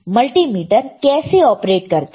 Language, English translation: Hindi, How multimeter operates